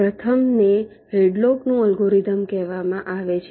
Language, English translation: Gujarati, let see, the first one is called hadlocks algorithm